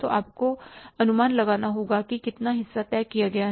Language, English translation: Hindi, So you have to misestimate that, that how much part is fixed